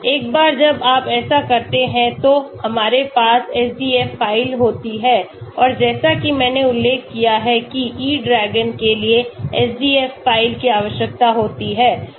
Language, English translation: Hindi, once you do that we have the SDF file and as I mentioned E DRAGON requires SDF file